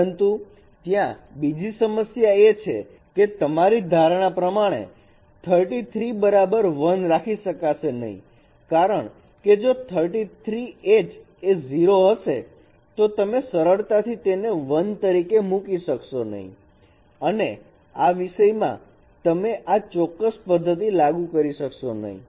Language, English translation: Gujarati, But here also the problem is that that your assumption of H33 equals 1 may not hold because if H 3 3 is 0 then you simply cannot put it as 1 and you cannot apply this method in that case